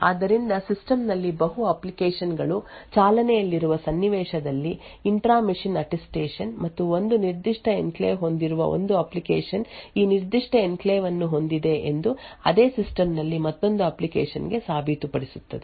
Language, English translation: Kannada, So, the intra machine Attestation in a scenario where there are multiple applications running in a system and one application having a specific enclave can prove to another application in the same system that it has this particular enclave